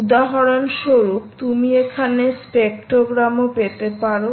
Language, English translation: Bengali, you can also get the spectrogram